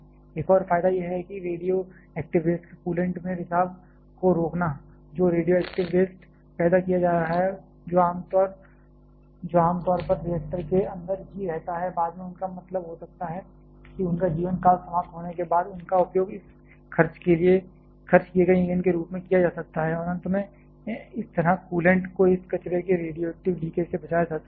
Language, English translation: Hindi, Another advantage is to prevent leakage of radioactive waste to coolant, the radioactive waste that have being produced, that generally remains inside the reactor itself it is a later on they can be means once their life time finishes they can be used as this spent fuel and finally, this so, radioactive leakage of this waste to the coolant can be avoided